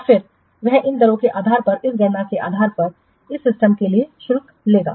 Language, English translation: Hindi, And then he will charge for this system based on this calculation, based on this rates